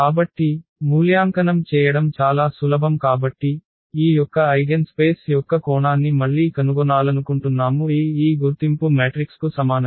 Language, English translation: Telugu, So, very simple to evaluate so we have, we want to find the dimension again of the eigenspace of this A is equal to this identity matrix